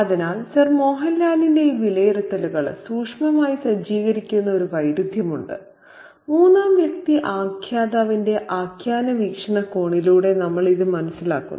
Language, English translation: Malayalam, So, there is a contrast that is being set up subtly by these evaluations of Sir Mohan Lal and we get to know this through the narrative viewpoint of the third person narrator